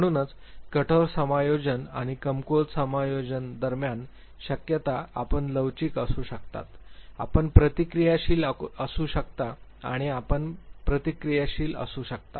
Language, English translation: Marathi, So, between strong adjustment and weak adjustment the possibilities are you could be resilient, you could be responsive, and you could be reactive